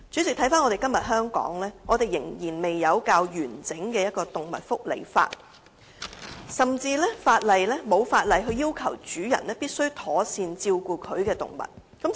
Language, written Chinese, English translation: Cantonese, 代理主席，香港至今仍未有較完整的動物福利法，甚至沒有法例要求主人必須妥善照顧其動物。, Deputy President Hong Kong has yet to enact comprehensive legislation on animal welfare nor is there any legislation to require animal owners to take proper care of their animals